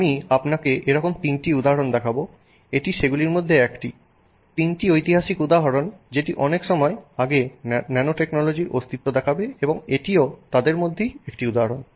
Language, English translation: Bengali, This is one of them, three historic examples which show the existence and use of nanotechnology from a long time ago